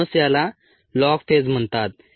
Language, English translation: Marathi, that's actually why it is called the log phase